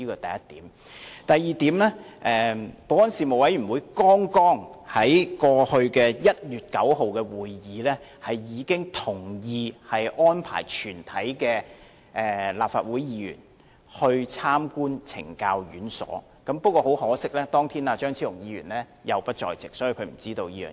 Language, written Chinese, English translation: Cantonese, 第二，事務委員會在剛過去的1月9日會議上，同意安排全體立法會議員參觀懲教院所，可惜張超雄議員當天亦不在席，所以便不知道會有這項安排。, Second the Panel has agreed at its latest meeting held on 9 January that arrangements would be made for all Members of this Council to visit correctional institutions . Regrettably Dr CHEUNG was not aware of such an activity since he was also absent that day